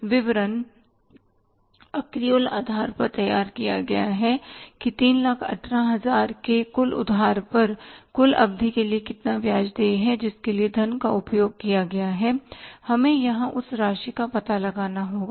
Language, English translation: Hindi, This statement is prepared on the accrual basis that on the total loan of $318,000, how much interest is due for the total period for which the funds are used